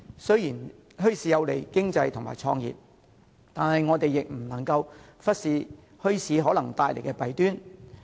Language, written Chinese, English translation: Cantonese, 雖然墟市有利經濟及創業，但我們不能忽視墟市可能帶來的弊端。, Although bazaars are beneficial to the economy and business start - ups we cannot neglect the possible disadvantages